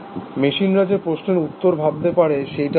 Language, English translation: Bengali, get the answer to the question that can machines think